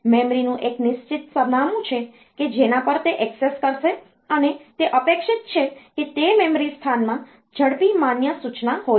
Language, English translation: Gujarati, There is a fixed address of the memory at which it will access and it is expected that the fast valid instruction is there in that memory location